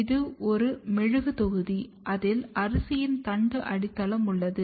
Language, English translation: Tamil, This is a wax block which has a stem base of the rice embedded in it